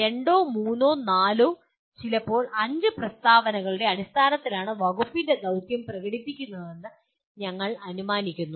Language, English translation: Malayalam, We assume that mission of the department is expressed in terms of a two or three or four sometimes five statements